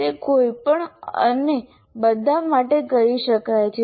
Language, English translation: Gujarati, Can it be done for anything and everything